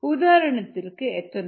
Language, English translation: Tamil, it does not contain ethanol